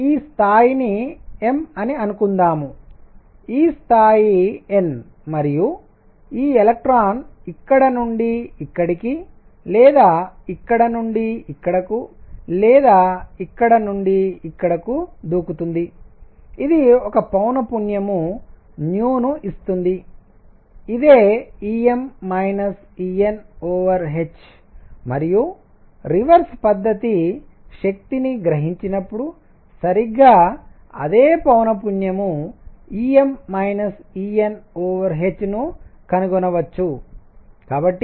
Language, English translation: Telugu, So, suppose this level is m, this level is n and this electron jumps from here to here or here to here or here to here, it gives a frequency nu which is E m minus E n over h and the reverse process when it absorbs energy exactly same frequency is going to be observed E m minus E n over h